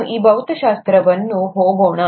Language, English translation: Kannada, How did we learn physics